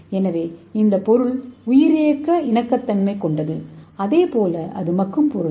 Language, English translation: Tamil, So this material is biocompatible as well as it is biodegradable material